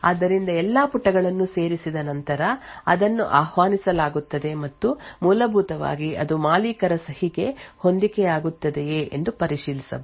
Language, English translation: Kannada, So, it is invoked after all the pages have been added and essentially it could verify that the signature matches that of the owner signature